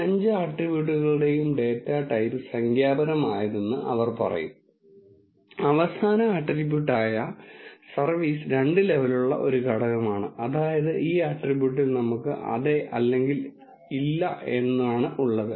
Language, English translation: Malayalam, And they will say the data type of all this five attributes is numeric, and the last attribute service is a factor with two levels that means we have yes or no in this attribute